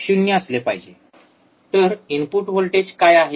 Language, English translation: Marathi, So, what is input voltage